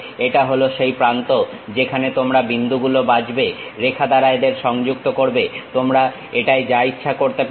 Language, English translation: Bengali, This is the terminal where you pick the point, draw connected by line draw anything you will do it